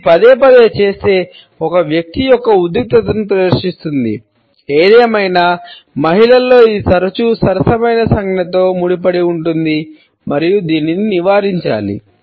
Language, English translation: Telugu, If it is repeatedly done; it showcases the tension of a person; however, in women it is often associated with a flirtatious gesture and it should be avoided